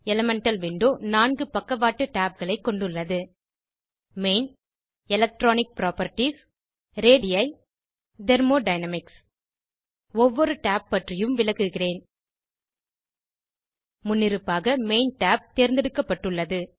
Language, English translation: Tamil, Elemental Window contains four side tabs * Main, * Electronic Properties, * Radii * Thermodynamics I will explain about each tab one by one By default Main tab is selected